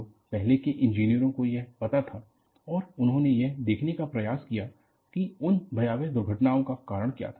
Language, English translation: Hindi, So, this was also known by earlier engineers and they try to look at, what was the cause of those catastrophic accidents